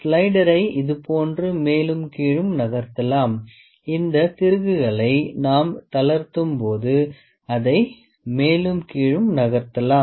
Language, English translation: Tamil, Slider can be moved up and down like this, when we lose this screws it can moved up and down